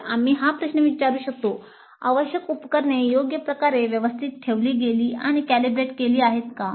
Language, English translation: Marathi, So we can ask the question required equipment was well maintained and calibrated properly